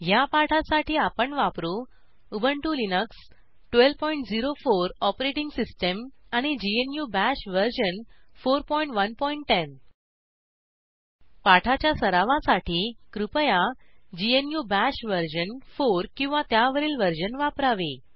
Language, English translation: Marathi, To record this tutorial I am using Ubuntu Linux 12.04 Operating System and GNU BASH version 4.1.10 Please note, GNU Bash version 4 or above is recommended for practice